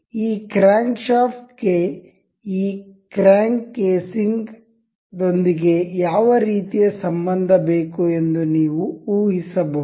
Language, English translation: Kannada, You can just guess what relation does this crankshaft needs to have with this crank casing